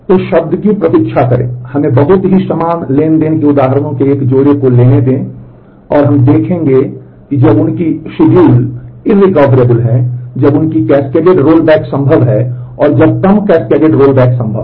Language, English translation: Hindi, So, wait for word let us take a couple of examples of very similar transactions and, we would see when their schedules are irrecoverable, when their cascaded recovery is possible cascaded rollback is possible and, when cascade less rollback is possible